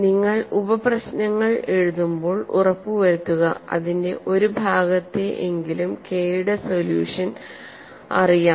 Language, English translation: Malayalam, Now write the sub problems and ensure that you know at least part of the solution for K